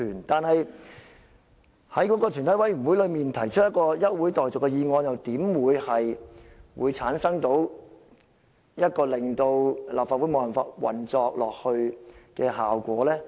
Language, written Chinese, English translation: Cantonese, 但是，在全體委員會內提出一項現即休會待續的議案又怎會產生令立法會無法運作的效果呢？, But how could an adjournment motion moved at the Committee stage make the Legislative Council inoperable?